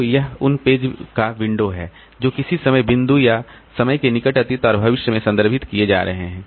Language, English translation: Hindi, So, this is the window of pages that are being referred to at, in the near past and near future of a time, or time, of a point in time